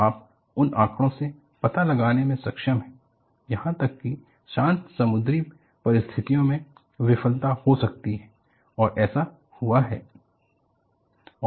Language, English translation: Hindi, So, from that data, you are able to segregate and find out, even under calm sea conditions, failure could happen and it has happened